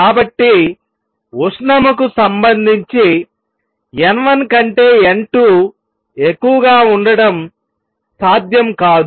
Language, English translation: Telugu, So, thermally it is not possible to have n 2 greater than n 1